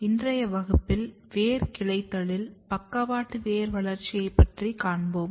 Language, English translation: Tamil, In today’s class we are going to discuss Root Branching particularly Lateral Root Development in plants